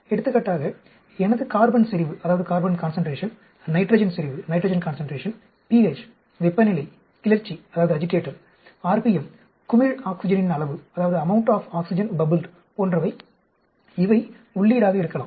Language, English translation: Tamil, Like, for example, my carbon concentration, nitrogen concentration, the pH, the temperature, the agitator, rpm, the amount of oxygen bubbled, these could be input